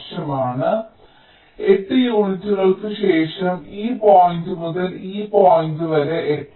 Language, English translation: Malayalam, so after eight unit of from this point to this point, it is eight